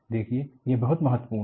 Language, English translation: Hindi, See, this is very important